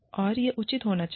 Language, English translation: Hindi, And, it should be reasonable